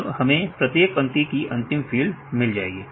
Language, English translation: Hindi, So, we get the last field of each line